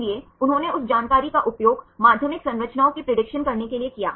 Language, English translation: Hindi, So, they used that in that information to predict the secondary structures